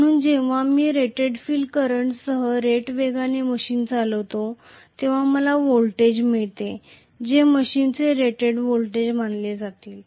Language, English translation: Marathi, So, when I am running the machine at rated speed with rated field current been applied I will get the voltage which is supposed to be the rated voltage of the machine right